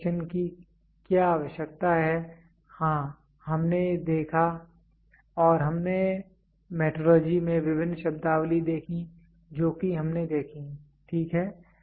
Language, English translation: Hindi, What is the need for inspection, yes, we saw and we saw various terminologies in metrology which is very important various terminologies we saw, ok